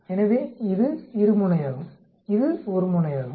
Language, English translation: Tamil, So this is a two sided, this is a one sided